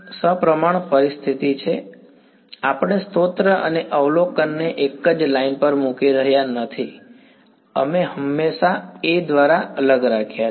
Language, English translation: Gujarati, No, we are not putting the source and observation on the same line, we have always separated by A; now